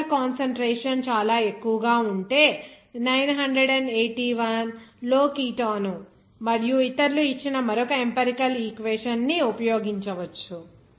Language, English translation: Telugu, If the particle concentration is very high, then you can use another empirical equation given by Kitano et al in 1981